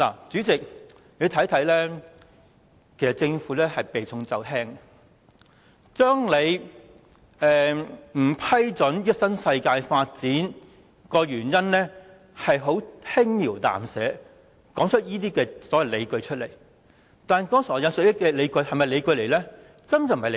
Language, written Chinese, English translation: Cantonese, 主席，你可以看到，其實政府是避重就輕，把不批准新世界這項申請的原因輕描淡寫，向公眾提出這些所謂的理據。, President you can see that the Government is actually evading the key issues by understating the reasons for not approving the application lodged by NWD and presenting these so - called justifications to the public